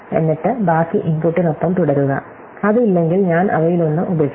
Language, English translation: Malayalam, And then proceed with the rest of the input, if it is not, then I have to drop one of them